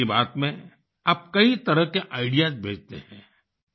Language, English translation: Hindi, You send ideas of various kinds in 'Mann Ki Baat'